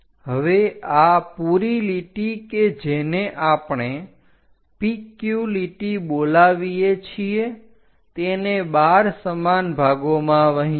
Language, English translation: Gujarati, Now, divide this entire line which we call PQ line into 12 equal parts